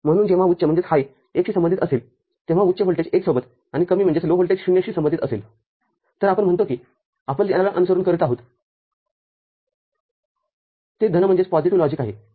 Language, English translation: Marathi, So, when high is associated with 1, high voltage is associated with 1, and low voltage associated with 0, we say that what we are following is called is positive logic